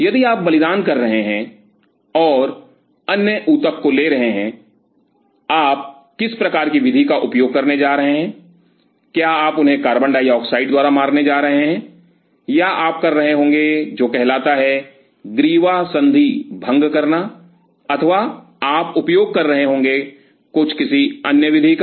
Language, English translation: Hindi, If you are sacrificing and taking other tissue what kind of mode are you going to use, are you going to kill them by carbon dioxide or you will be doing something called cervical dislocation or you will be using something some other mode